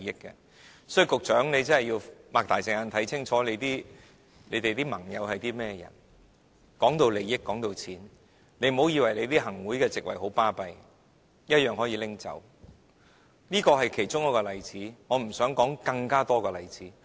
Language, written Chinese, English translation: Cantonese, 因此，局長你要張開眼睛看清楚你的盟友是何許人，談到利益、談到錢，你不要以為行政會議的席位有甚麼了不起，一樣予取予求，這是其中一個例子，我不想舉太多例子。, For that reason I wish the Secretary to open your eyes wide to see who your coalitions are . When it comes to interests when it comes to money you must not think that a seat in the Executive Council is something extraordinary . It is actually something so easily obtainable